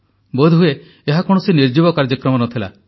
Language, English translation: Odia, Perhaps, this was not a lifeless programme